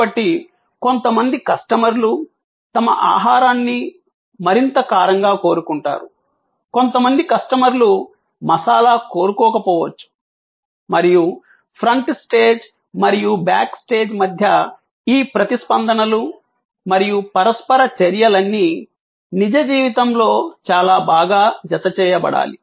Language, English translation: Telugu, So, some customers way want their food more spicy, some customers may not want it spicy and all these responses and interactions between the front stage and the back stage have to be very tightly coupled in real time